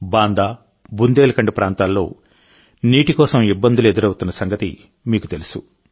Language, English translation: Telugu, You too know that there have always been hardships regarding water in Banda and Bundelkhand regions